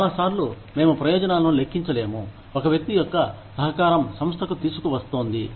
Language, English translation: Telugu, A lot of times, we cannot tangibly quantify the benefits, a person's contribution, is bringing to the organization